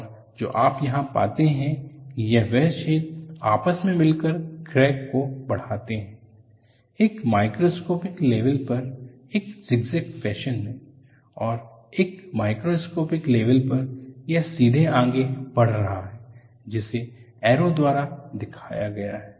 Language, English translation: Hindi, And what do you find here is, the holes are joined and you find the crack proceeds, at a microscopic level in a zigzag fashion; and a macroscopic level, it is proceeding straight as what is shown by the arrow